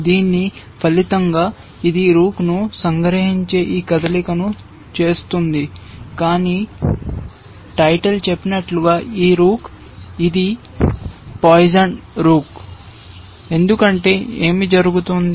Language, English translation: Telugu, As a result of which, it makes this move of capturing the rook, but this rook as a title says, it is a poisoned rook because what happens